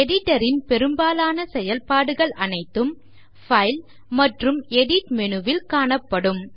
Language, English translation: Tamil, Most of the functions of the editor can be found in the File and Edit menus